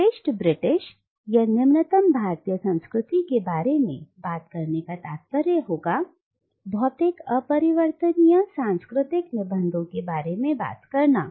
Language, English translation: Hindi, To talk about superior Britishness or inferior Indianness would mean talking about static unchangeable cultural essences